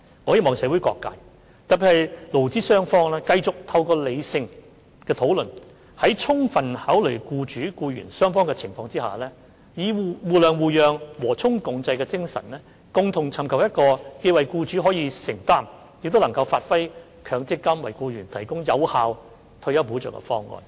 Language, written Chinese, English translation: Cantonese, 我希望社會各界，特別是勞資雙方繼續透過理性的討論，在充分考慮僱主和僱員雙方的情況下，以互諒互讓、和衷共濟的精神，共同尋求一個既為僱主可以承擔，亦能發揮強積金為僱員提供有效退休保障的方案。, I hope that various social sectors in particular employers and employees will continue to engage in rational discussions and after fully considering the circumstances of both sides jointly work out a proposal in a spirit of conciliation and accommodation that not only is affordable to employers but also provides employees with effective retirement protection by way of MPF